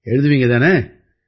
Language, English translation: Tamil, so will you write